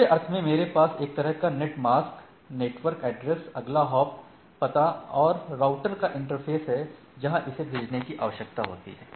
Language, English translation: Hindi, So, in other sense I have some sort of a net mask, network address, next hop address and the interface of the router where it need to be pushed